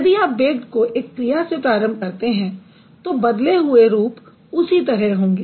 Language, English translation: Hindi, But if you begin with bake as a verb, the inflected forms are going to be like this